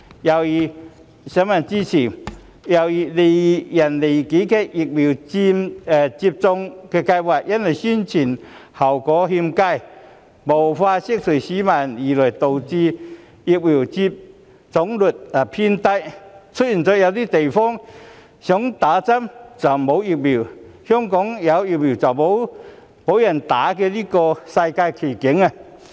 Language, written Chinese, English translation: Cantonese, 又如利人利己的疫苗接種計劃因為宣傳效果欠佳，無法釋除市民的疑慮，導致疫苗接種率偏低，出現了有些地方想接種卻沒有疫苗，香港有疫苗卻沒有人接種的世界奇景。, Since the Governments poor publicity work has failed to allay public concern the vaccination rate has been utterly low . While there are places where people are eager to get vaccinated but vaccines are unavailable it is strange to see that some Hong Kong people refuse to get vaccinated when vaccines are available